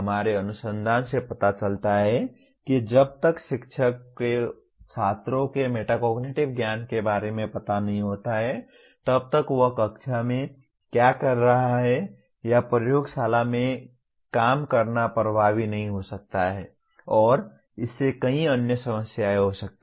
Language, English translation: Hindi, Our research shows that unless if the teacher is not aware of the metacognitive knowledge of the students, then what he is doing in the class or working in the laboratory may not be effective at all and that leads to many other problems